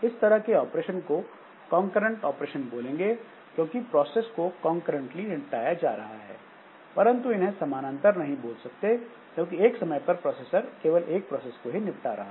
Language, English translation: Hindi, So that way there is a concurrency because all the processes they are being handled concurrently, but that is not parallel because at one point of time the processor is given to only a single process